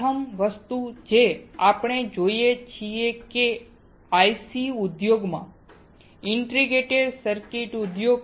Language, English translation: Gujarati, The first thing that we see is that in the IC industry Integrated Circuit industry